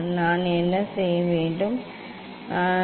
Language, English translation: Tamil, what I will do; I will I will